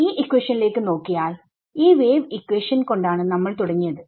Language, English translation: Malayalam, So, if you look at this equation over here we started with this wave equation over here